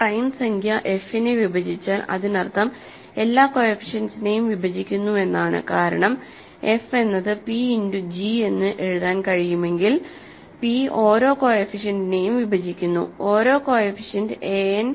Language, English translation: Malayalam, If a prime number divides f it means divides all the coefficients because if f can be written as p times g that means, p divides each coefficients, each coefficient a n